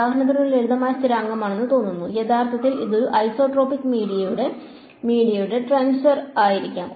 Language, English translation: Malayalam, For example, this seems to be a simple constant; actually it could be a tensor for an isotropic media